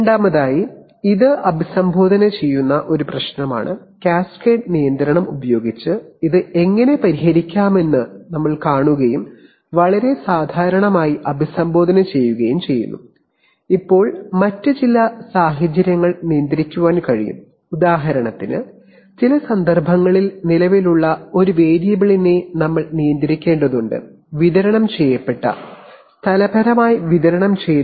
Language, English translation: Malayalam, Secondly, this is a problem which will address, you will see how it can be addressed by using cascade control and very commonly addressed, now there are some other situations can control, for example in some cases we have to control the a variable which exists over a distributed, spatially distributed region, for example suppose we want to control the temperature in this room in which I am sitting